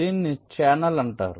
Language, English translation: Telugu, this is called a channel